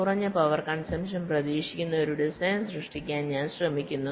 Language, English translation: Malayalam, i am trying to create a design that is expected to consume less power